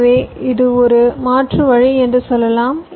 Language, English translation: Tamil, so let say, this can be one alternate route